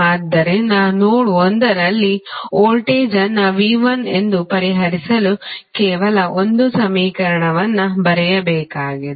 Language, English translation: Kannada, So, you need to write only one equation to solve the voltage at node 1 that is V 1